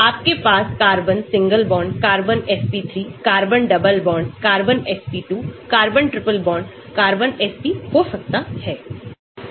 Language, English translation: Hindi, you can have carbon single bond, carbon SP3, carbon double bond carbon SP2, carbon triple bond carbon SP